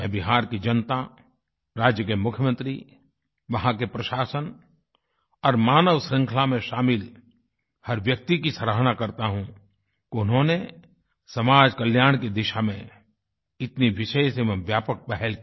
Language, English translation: Hindi, I appreciate the people of Bihar, the Chief Minister, the administration, in fact every member of the human chain for this massive, special initiative towards social welfare